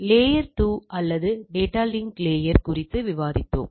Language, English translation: Tamil, So, we were discussing on layer 2 or data link layer phenomena